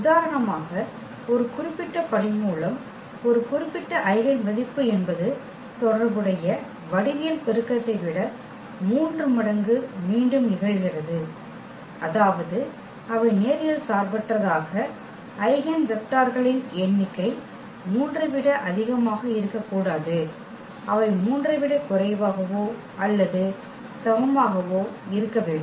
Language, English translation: Tamil, Meaning that for example, one a particular root; one particular eigenvalue is repeated 3 times than the corresponding geometric multiplicity meaning they are number of linearly independent eigenvectors cannot be more than 3, they have to be less than or equal to 3